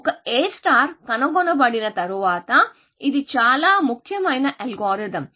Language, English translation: Telugu, After A star was discovered, it is quite a well known algorithm